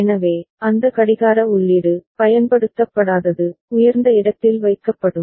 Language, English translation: Tamil, So, that clock input, the one that is not used, will be kept at high, right